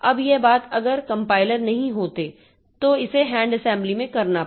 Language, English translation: Hindi, Now, this thing, if it was not there, if the compilers were not there, then I have to do this hand assembly